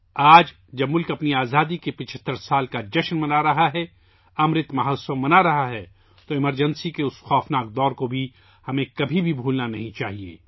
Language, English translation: Urdu, Today, when the country is celebrating 75 years of its independence, celebrating Amrit Mahotsav, we should never forget that dreadful period of emergency